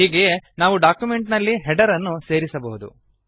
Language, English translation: Kannada, Similarly, we can insert a header into the document